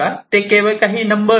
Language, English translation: Marathi, these are nothing, just some numbers